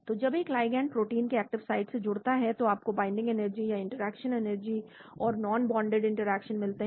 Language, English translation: Hindi, So when a ligand is bound to the active site of the protein , you get the binding energy or interaction energy and non bonded interaction